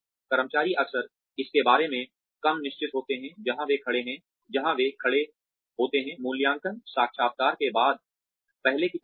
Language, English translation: Hindi, Employees are often, less certain about, where they stand, after the appraisal interview, than before it